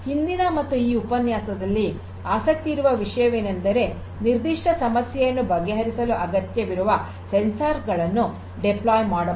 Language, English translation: Kannada, But what is very important in this lecture and the previous one is to understand that we can deploy whatever sensors are required for addressing a particular problem